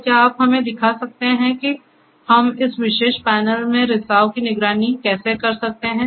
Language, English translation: Hindi, So, can you show us how we can monitor leakage in this particular panel